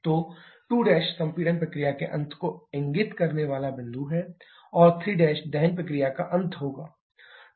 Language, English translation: Hindi, So, 2 Prime is the point signifying the end of compression process and 3 prime will be the end of combustion process